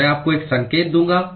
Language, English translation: Hindi, I will give you a hint